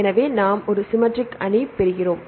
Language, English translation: Tamil, So, we get a symmetric matrix